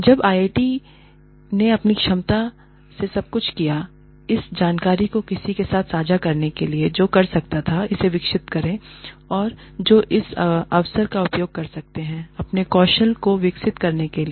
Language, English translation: Hindi, Now, IIT did everything in its capacity, to share this information with anyone, who could develop this, or who could use this opportunity, to develop their own skills